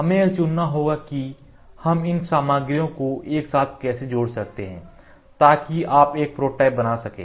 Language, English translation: Hindi, We have to choose how can I join these materials together such that you can form a prototype